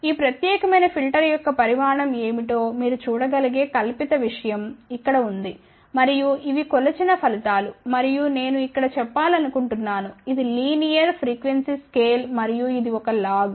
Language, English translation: Telugu, Here is the fabricated thing you can see what is the size of this particular filter and these are the measured results and just I want to mention here this is the linear frequency scale and this is a log